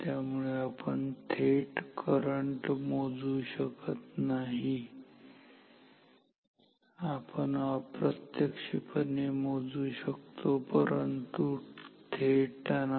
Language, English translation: Marathi, So, we cannot measure current directly, we can measure it indirectly, but not directly